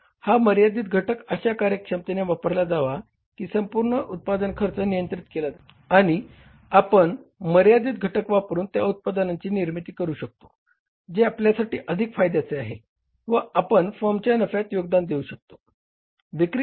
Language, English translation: Marathi, So that limiting factor has to be used in such a efficient manner that overall cost of production is under control and we are able to manufacture those products by using that limiting factor which are highly profit making for us and contribute towards the profitability of the firm